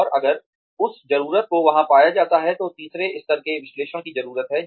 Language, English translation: Hindi, And, if that need is found to be there, then the third level of analysis, needs to be taken up